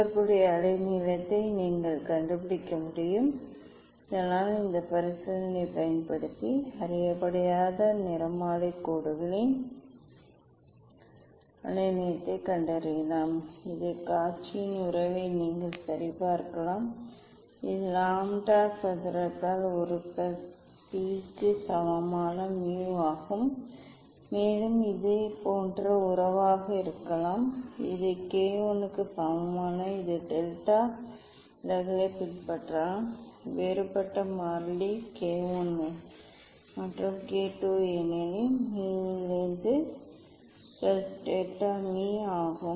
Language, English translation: Tamil, corresponding wavelength you can find out thus you can find out the wavelength of unknown spectral lines using this experiment also you can verify the Cauchy s relation this it is the mu equal to a plus b by lambda square, also it can be similarly relation it can follow this delta deviation equal to K 1 different may be different constant K 1 plus K 2 by lambda square, because in mu this is A plus delta m this delta deviation depends on the wavelength this mu refractive index it depends on deviation and the deviation depends on the only deviation depends on the wavelength